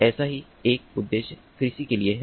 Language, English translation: Hindi, one of one such purpose is for ah, agriculture